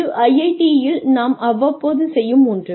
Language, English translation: Tamil, This is something that, we here at IIT do, from time to time